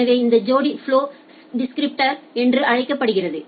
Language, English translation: Tamil, So, this pair is known as the flow descriptor